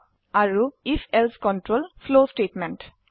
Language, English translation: Assamese, And if...else control flow statements